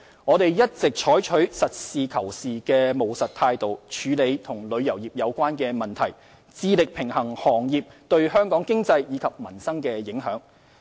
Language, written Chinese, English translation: Cantonese, 我們一直採取實事求是的務實態度處理旅遊業相關問題，致力平衡行業對香港經濟及民生的影響。, We have all along adopted a pragmatic attitude in dealing with issues related to the tourism industry and striven to strike a balance between the impacts of the industry on Hong Kong economy and the livelihood of Hong Kong people